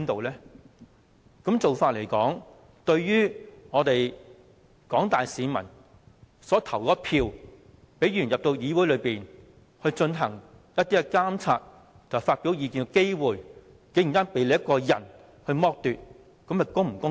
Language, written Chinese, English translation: Cantonese, 這樣做對於廣大市民有份投票選出的議員，他們進入議會監察政府和發表意見的機會，竟然被你一個人剝奪，這是否公道？, In so doing you alone have deprived Members elected by the general public to this Council of their chance to monitor the Government and express their views